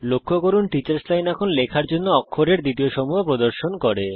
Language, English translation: Bengali, Notice, that the Teachers Line now displays the next set of characters to type